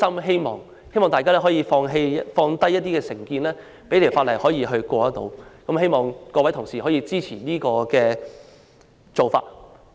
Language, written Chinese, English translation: Cantonese, 希望大家可以放下成見，讓《條例草案》得以通過，希望各位同事支持這個做法。, I hope Members will set aside their prejudices so as to enable the passage of the Bill . I implore Honourable colleagues to support the proposed arrangement